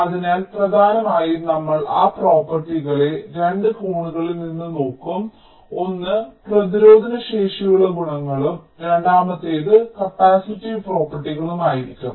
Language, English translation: Malayalam, so mainly we shall be looking at those properties from two angles: one would be the resistive properties and the second would be the capacitive properties